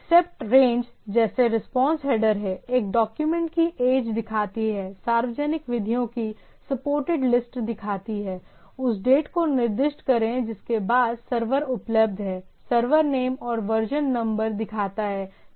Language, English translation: Hindi, So, there are response header like Accept range, Age shows the age of the document, Public shows the supported list of methods, Retry after specify the date after which the server is available, Server shows the server name and version number and like that